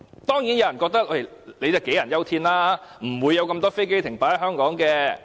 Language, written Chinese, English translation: Cantonese, 當然，有人覺得這是杞人憂天，根本不會有那麼多飛機在香港停泊。, Of course some would consider this worry groundless as there will not be many aircraft parking in Hong Kong